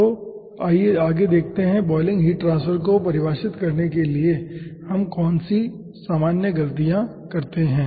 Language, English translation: Hindi, what are the ah common ah mistakes we do while we define boiling, heat transfer